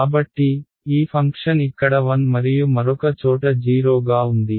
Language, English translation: Telugu, So, this function is 1 over here and 0 elsewhere n 0